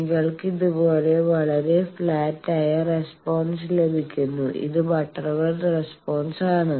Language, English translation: Malayalam, And the response you get very flat like this also this is butterworth response